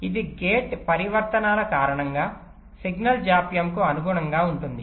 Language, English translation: Telugu, this correspond to the signal delays due to gate transitions